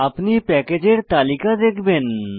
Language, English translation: Bengali, You will see a list of packages